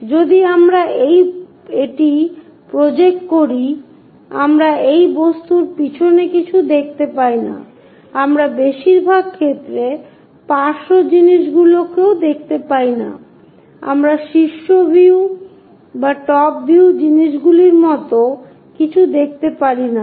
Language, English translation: Bengali, If we project it we cannot see anything backside of that object, we cannot even see the side things in most of the cases, we cannot see anything like top view things only